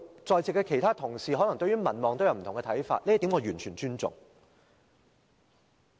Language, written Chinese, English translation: Cantonese, 在席的其他同事對於民望都有不同看法，我完全尊重這點。, I fully respect the differing views of other Members present at the meeting on popularity rating